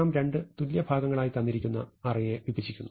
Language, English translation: Malayalam, So, suppose we divide the array into two equal parts